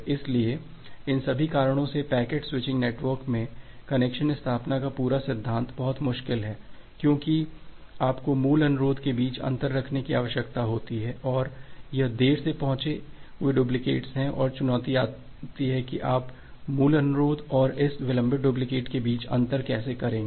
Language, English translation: Hindi, So, because of all this reason, the entire principle of connection establishment in a packet switching network is very difficult, because you need to differentiate between the original request and it is delayed duplicates and the challenge comes that how will you differentiate between the original request and the corresponding delayed duplicate